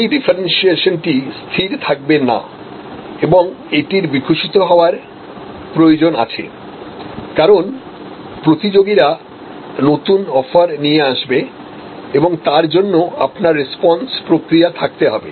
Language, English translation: Bengali, So, this differentiation is not setting it needs to evolve as the competitors will come up with new offerings you have to have a response mechanism